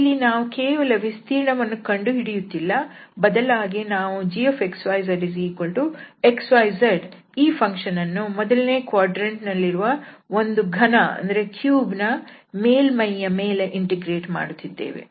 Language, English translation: Kannada, So, we are not just computing the area, but we are integrating this function x y z over a surface of the cube, which is sitting in the first quadrant